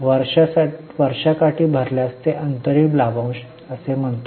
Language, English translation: Marathi, If it is paid during the year it is called as interim dividend